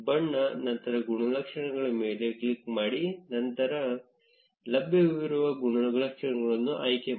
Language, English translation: Kannada, Click on color, then attributes and then choose the available attributes